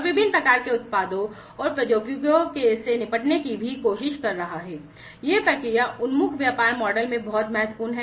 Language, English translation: Hindi, And also trying to deal with different types of, you know, various types of products and technologies, this is very important in the process oriented business model